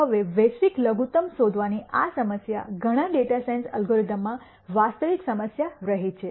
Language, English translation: Gujarati, Now, this problem of finding the global minimum has been a real issue in several data science algorithms